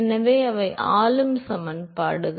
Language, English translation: Tamil, So, those are the governing equations